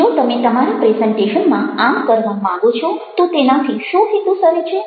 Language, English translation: Gujarati, if you want to do that in your presentation, what purpose does it saw